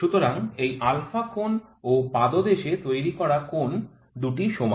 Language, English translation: Bengali, So, this angle alpha and this angle with the base this is same